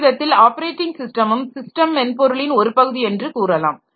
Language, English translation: Tamil, And you can in some sense you can say that operating system is also part of this system software